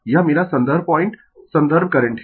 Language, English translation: Hindi, This my reference point reference, current